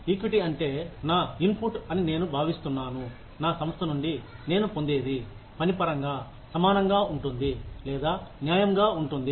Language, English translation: Telugu, Equity means, I feel that, my, the input that I get, from my organization, is equal to, or is fair, in terms of the work, I do